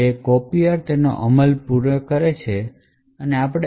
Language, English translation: Gujarati, Therefore, after the copier completes its execution